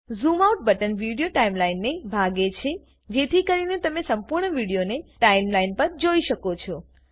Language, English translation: Gujarati, The Zoom Out button collapses the Video Timeline so that you can view the whole video on the Timeline